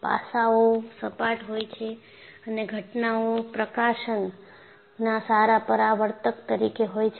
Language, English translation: Gujarati, The facets are flat, and therefore, good reflectors of incident light